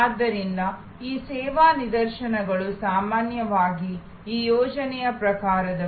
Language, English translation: Kannada, So, these service instances are usually of this project type